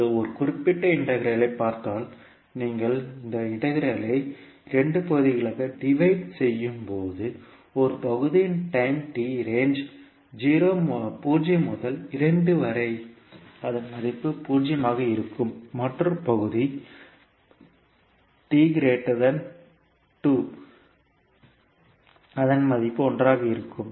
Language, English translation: Tamil, Now here if you see this particular integral you can divide this integral into two parts for time t ranging between zero to two this particular value will be zero because it will be one when t is greater than two